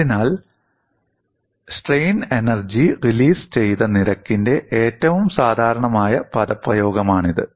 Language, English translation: Malayalam, So, this is the most general expression for strain energy released rate